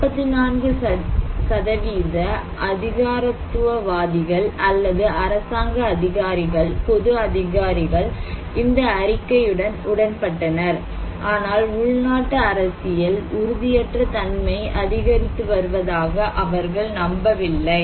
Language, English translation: Tamil, Whereas the bureaucrats or the government officials, public officials, 44% of them agreed with this statement, they do not believe domestic political instability is increasing